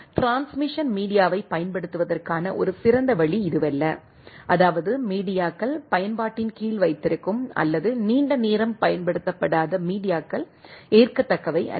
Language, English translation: Tamil, This is not a good way of utilising the transmission media so, that is a when the media keeping the media under utilised or not utilised for a longer time is not acceptable